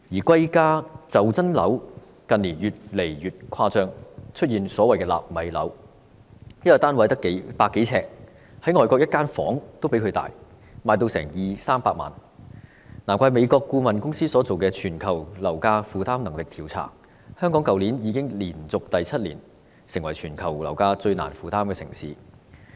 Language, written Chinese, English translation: Cantonese, 貴價袖珍樓近年越來越誇張，出現所謂"納米樓"，一個單位只有百多呎，外國一個房間比它還要大，但售價卻要二三百萬元，難怪美國顧問公司進行的"全球樓價負擔能力調查"指出，香港去年已連續第七年成為全球樓價最難負擔的城市。, A room in the foreign countries is even bigger than it . But its selling price is as much as 2 million to 3 million . No wonder last year the Demographia International Housing Affordability Survey conducted by an American consultancy ranked Hong Kong as the worlds most unaffordable city in terms of property price for seven consecutive years